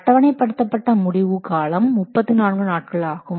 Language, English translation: Tamil, So, schedule completion is 34 days